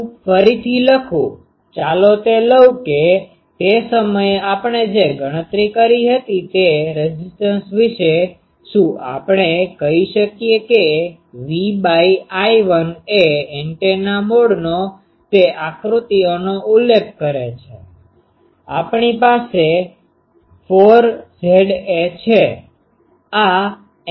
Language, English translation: Gujarati, Let me again write, let me take that what about the impedance that time we calculated, can we say that V by sorry V by I 1 referring to that antenna mode those diagrams, we have 4 Z a